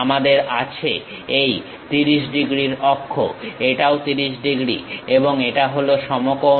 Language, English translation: Bengali, We have this axis is 30 degrees, this axis is also 30 degrees and this is orthogonal